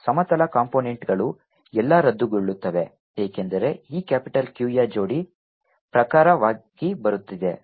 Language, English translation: Kannada, the horizontal components all cancel because of the pair wise coming of these capital q